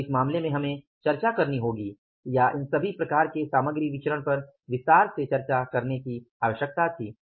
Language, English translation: Hindi, So, in this case, we will have to discuss or be that was a need to discuss all these variances, material variances in detail